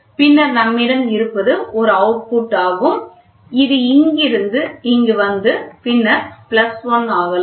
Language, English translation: Tamil, And then what we have is we have an output which is taken so, this from here it can come to here and then plus 1